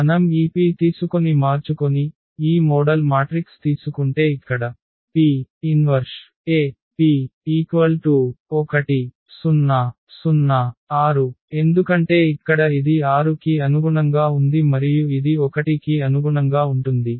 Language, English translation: Telugu, If we change, if we take this P, if we take this model matrix then here P inverse AP when we compute, this will be 6 0 and 0 1, because here this was corresponding to this 6 and then this is corresponding to this number 1 here